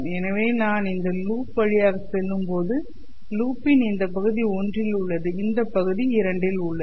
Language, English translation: Tamil, So as I am going through this loop, this portion of the loop lies in region one, this portion of the loop lies in region two